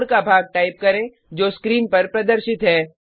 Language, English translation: Hindi, Type the following piece of code as shown